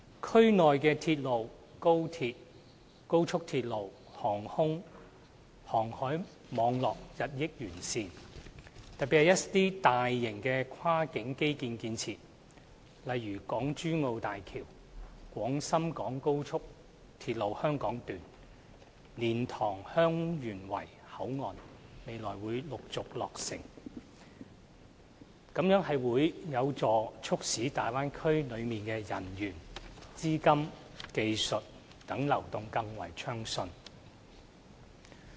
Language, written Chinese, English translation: Cantonese, 區內鐵路、高鐵、高速公路、航空和航海網絡日趨完善，特別是一些大型跨境基建設施，例如港珠澳大橋、廣深港高速鐵路香港段和蓮塘/香園圍口岸未來將陸續落成，這將有助促使大灣區內人員、資金、技術等流動更為順暢。, The rail high - speed rail expressway aviation and maritime networks within the Bay Area are improving . In particular cross - boundary infrastructure facilities such as the Hong Kong - Zhuhai - Macao Bridge the Hong Kong Section of the Guangzhou - Shenzhen - Hong Kong Express Rail Link XRL and the LiantangHeung Yuen Wai Boundary Control Point will soon be completed . This will help foster the smooth flow of people capital technology and so forth within the Bay Area